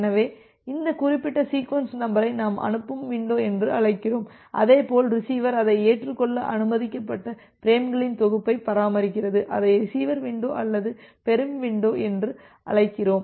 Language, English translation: Tamil, So this particular set of sequence number we call it as a sending window, similarly, the receiver it maintains a set of frames which it is permitted to accept, we call it as the receiver window or receiving window